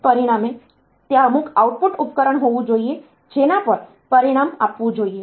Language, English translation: Gujarati, As a result, there should be some output device on to which the result should be given